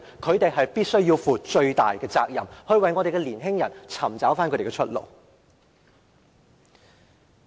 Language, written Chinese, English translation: Cantonese, 他們必須負上最大的責任，為我們的年輕人尋找出路。, They must bear the greatest responsibility to find a way out for our young people